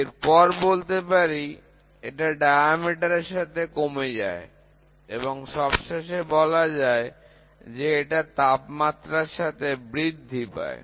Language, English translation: Bengali, Next, it decreases with diameter, ok, the other thing is it increases with temperature